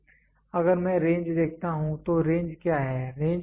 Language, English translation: Hindi, So, if I see the range, what is the range